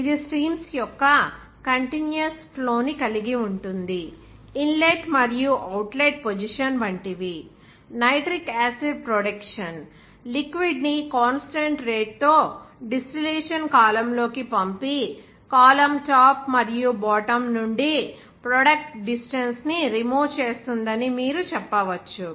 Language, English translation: Telugu, It involves the continuous flowing of streams, both inlet and outlet the position and like; you can say that production of nitric acid, pumping liquid at a constant rate into a distillation column and removing the product distance from the top and bottom of the column